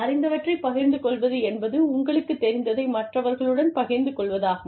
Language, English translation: Tamil, Knowledge sharing means, you are sharing, whatever you know, with other people